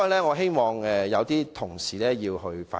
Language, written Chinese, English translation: Cantonese, 我希望有關同事會反省。, I hope this colleague will reflect on his act